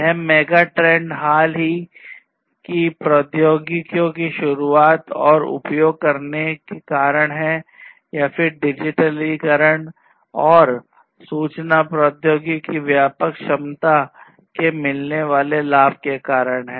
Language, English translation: Hindi, These megatrends are due to the introduction of recent technologies and using or leveraging the pervasive potential of digitization and information technologies